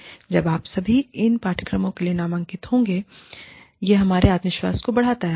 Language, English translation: Hindi, And, when you all, enrolled for these courses, that boosts our confidence